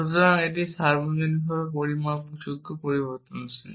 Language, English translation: Bengali, So, this is the universally quantified variable